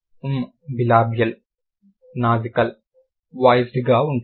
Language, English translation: Telugu, M would be bilabial, nasal voiced